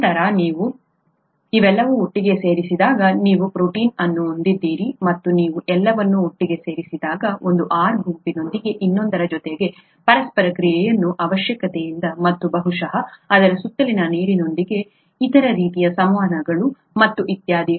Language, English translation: Kannada, Then when you put all these together you have the protein and when you put all these together, there is a need for interaction of one R group with the other and probably other kinds of interactions with the water around it and so on so forth